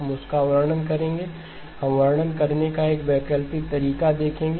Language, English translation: Hindi, We will describe that; we will look at an alternate way of describing